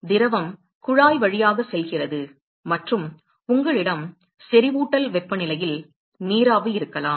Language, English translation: Tamil, So, the fluid goes through the tube and you might have steam at the saturation temperature